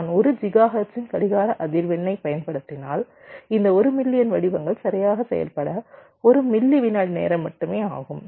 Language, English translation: Tamil, right, and say: means, if i use a clock frequency of one gigahertz, then this one million pattern will take only one millisecond of time to have to operate right